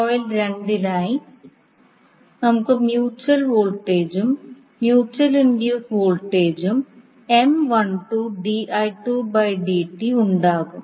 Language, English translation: Malayalam, So for coil two, we will have the mutual voltage and a mutual induced voltage M 12 di 2 by dt